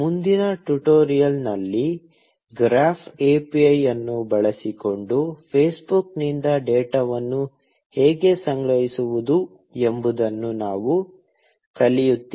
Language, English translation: Kannada, In the next tutorial, we learn how to collect data from Facebook, using the graph API